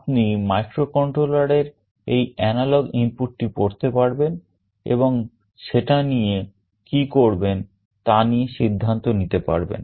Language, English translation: Bengali, You can read this analog input in the microcontroller and take a decision what to do with that